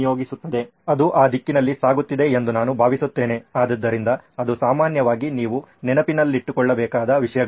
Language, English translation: Kannada, I think it is going in that direction, so usually that is the things that you have to keep in mind